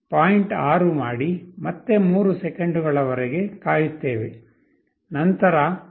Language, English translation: Kannada, 6 again wait for 3 seconds, then 0